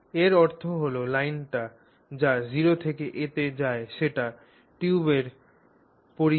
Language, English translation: Bengali, The meaning of that is the line that goes from O to A is the circumference of the tube